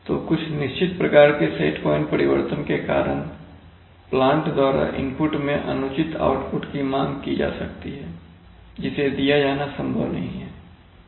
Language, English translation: Hindi, Then so for certain kinds of set point changes we may get, I mean unreasonable output in inputs to the plant may be demanded which is not possible to be given